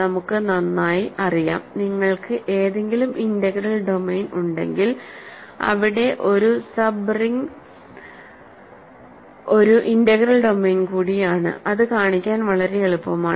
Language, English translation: Malayalam, We know very well, that if you have any integral domain a sub ring is also an integral domain that is very easy to show